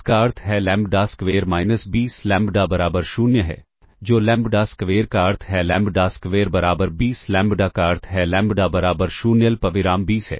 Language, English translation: Hindi, This implies lambda square minus 20 lambda equal to 0, which implies lambda square, which implies lambda square equals 20 lambda, which implies lambda equals 0 comma 20